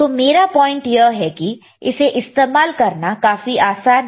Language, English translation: Hindi, So, the point is this is so easy to use, extremely easy to use, right